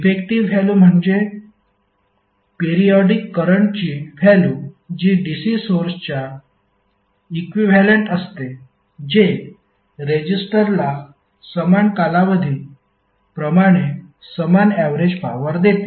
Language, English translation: Marathi, The effective value means the value for a periodic current that is equivalent to that the cigarette which delivers the same average power to the resistor as the periodic current does